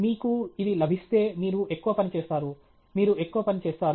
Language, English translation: Telugu, If you get that then you will work more, you will work more